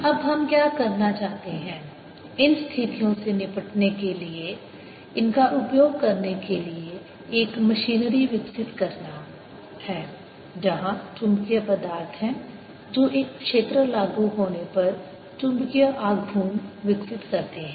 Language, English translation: Hindi, what we want to do now is develop a machinery to using these to deal situations where there are magnetic materials sitting that develop magnetic moment when a field is applied